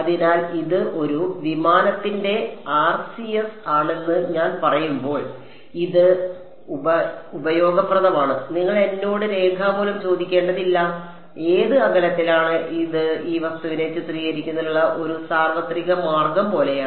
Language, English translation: Malayalam, So, it is useful when I say this is the RCS of an aircraft you do not have to ask me in written, at what distance right it is more like a universal way to characterize this object